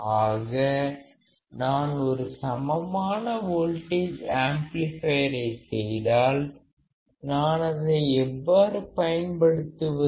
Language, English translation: Tamil, So, if I make an equivalent voltage amplifier model; then how can I use it